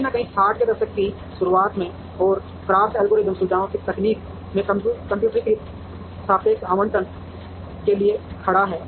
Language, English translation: Hindi, Somewhere in the early 60's, and CRAFT algorithm stands for Computerized Relative Allocation of Facilities Technique